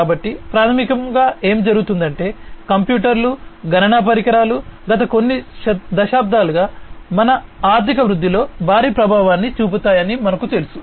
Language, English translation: Telugu, So, basically what has happened is as we know that computers, computational devices etcetera has had a huge impact in our economic growth in the last few decades